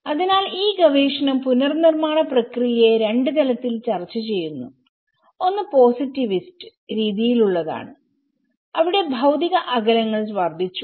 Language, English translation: Malayalam, So this research have discussed the reconstruction process in two ways one is instrumentally in a positivist way, where the physical distances had increase